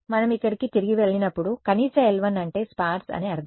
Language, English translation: Telugu, We have seen that minimum when we go back over here minimum l 1 meant sparse